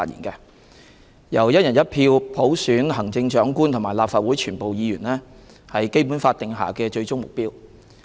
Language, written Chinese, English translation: Cantonese, 由"一人一票"普選行政長官和立法會全部議員，是《基本法》定下的最終目標。, The selection of the Chief Executive and the election of all Legislative Council Members by one person one vote is the ultimate goal laid down in the Basic Law